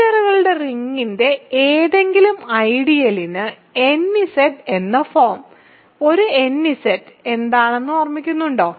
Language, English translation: Malayalam, So, any ideal of the ring of integers has the form nZ remember what is a nZ